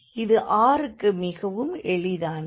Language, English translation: Tamil, So, it is very easy for the r